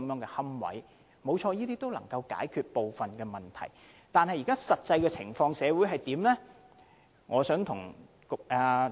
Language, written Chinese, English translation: Cantonese, 誠然，這些措施有助解決部分問題，但社會上的實際情況又如何？, While such measures can indeed solve part of the problem what is the actual situation in society?